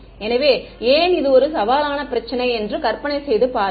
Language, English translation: Tamil, So, imagine why this is a challenging problem